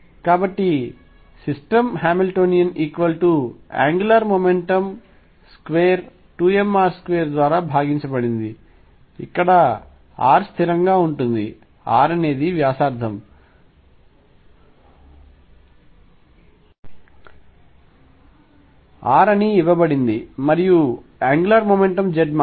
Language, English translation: Telugu, So, the Hamiltonian for the system is nothing, but the angular momentum square divided by 2 m r square where r is fixed r is let us say the radius is given to be r and angular momentum is only z angular momentum because V is 0 angular momentum is conserved